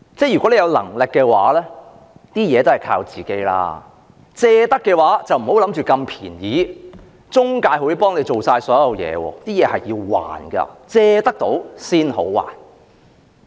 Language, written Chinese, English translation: Cantonese, 如果你有能力，還是靠自己較好；如果要借款，便別妄想那麼便宜，中介會代你做所有事，這是要償還的，正所謂"還得到先好借"。, You had better rely on yourself if you are able to do so . If you have to make borrowings do not do so lightly and assume that the intermediaries will do everything for you